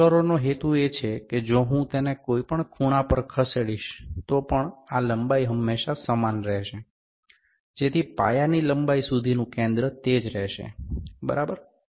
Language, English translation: Gujarati, The purpose of roller is that, if even if I move it at any angle, this length would always remain same, this length would always remain same that center to the base length would remain same, ok